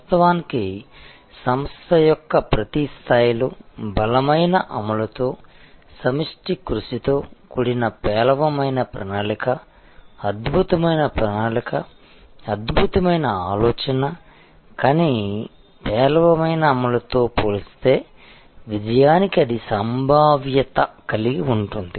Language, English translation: Telugu, In fact, a poor plan with strong execution concerted effort at every level of the organization will have a higher probability of success compared to a brilliant plan, brilliant thinking, but poor execution